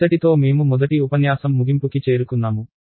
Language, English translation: Telugu, So, with this we are at the end of lecture 1